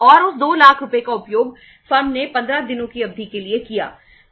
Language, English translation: Hindi, And that 2 lakh rupees uh the firm has used for a period of say 15 days